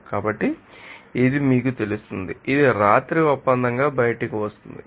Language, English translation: Telugu, So, this will actually will be you know, that coming out as a deal at night